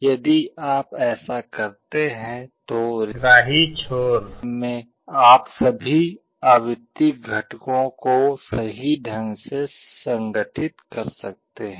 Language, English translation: Hindi, If you do that, then at the receiving end you can reconstruct all the frequency components accurately